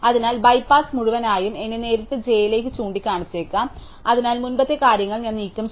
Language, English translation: Malayalam, So, let me bypass is whole in may be point directly to j, so I have remove the earlier things